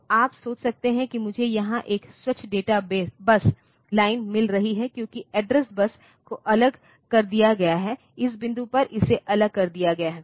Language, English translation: Hindi, So, the you will get a you get a you can think that I am getting a clean data bus line here, because the address bus has been separated it out separated out at this point